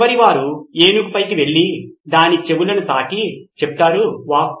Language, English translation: Telugu, The last one went on top of the elephant and said, and touched its ears and said, Wow